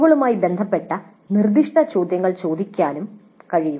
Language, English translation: Malayalam, Then it is also possible to ask questions related to specific COs